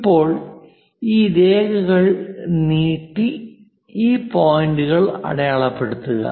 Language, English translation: Malayalam, Now, this one just extend these lines, so mark these points